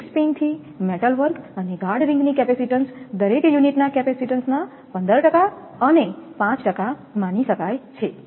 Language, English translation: Gujarati, The capacitance of the link pins to metal work and guard ring can be assumed to 15 percent and 5 percent of the capacitance of each unit